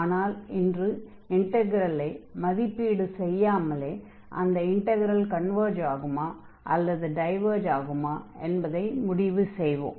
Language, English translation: Tamil, And with the basis of the evaluation indeed we can conclude whether the integral converges or it diverges